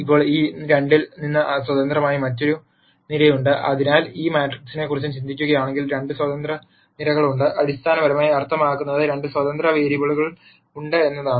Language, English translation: Malayalam, Now, there is one other column which is independent of these two so, if you think about this matrix there are 2 independent columns; which basically means there are 2 independent variables